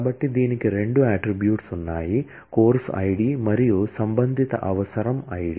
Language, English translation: Telugu, So, it has two attributes; the course id and the corresponding prerequisite id